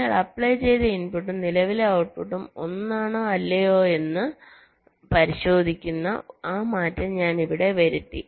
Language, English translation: Malayalam, so here i have made just that change which checks whether the applied input and the current output are same or not